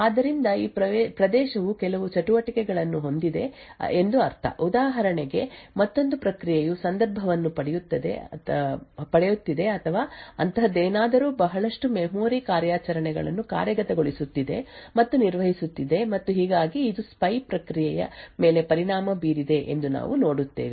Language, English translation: Kannada, So this regions would mean that there is some activity for example another process that was getting context which or something like that which has been executing and performing a lot of memory operations and thus we see that it has affected the spy process